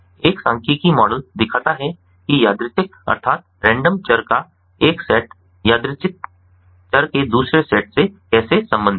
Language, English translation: Hindi, a statistical model illustrates how a set of random variables is related to another set of random variables and it is a statistical model